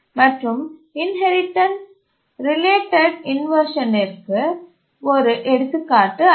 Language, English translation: Tamil, Give an example of an inherits related inversion